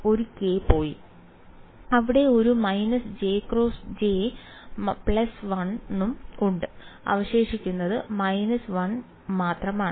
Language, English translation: Malayalam, One k has also gone right there is a minus j into j that is plus 1 and left with the minus 1